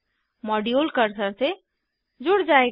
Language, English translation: Hindi, The module will get tied to cursor